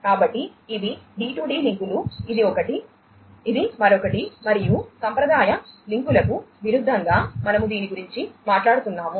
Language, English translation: Telugu, So, these are the D2D links this is one, this is another and we are talking about it in contrast to the traditional links